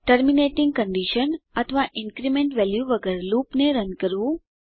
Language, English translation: Gujarati, Run a loop without a terminating condition or increment value